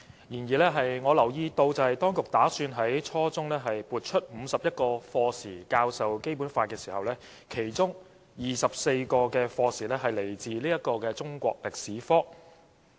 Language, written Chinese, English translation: Cantonese, 然而，我留意到當局打算在初中階段撥出51課時教授《基本法》，其中24課時來自中國歷史科。, Nonetheless I notice that the authorities intend to allocate 51 lesson hours for teaching the Basic Law at junior secondary level and 24 of these 51 lesson hours will come from the subject of the Chinese History